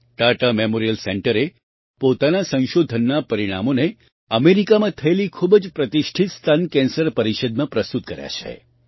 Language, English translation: Gujarati, Tata Memorial Center has presented the results of its research in the very prestigious Breast cancer conference held in America